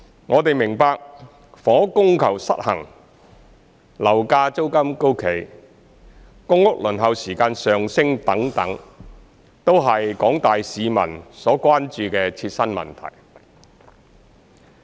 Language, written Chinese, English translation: Cantonese, 我們明白，房屋供求失衡、樓價租金高企、公屋輪候時間上升等，都是廣大市民所關注的切身問題。, We understand that the imbalance between housing supply and demand high property prices and rents increasing waiting time for public housing etc . are issues of immediate concern to the general public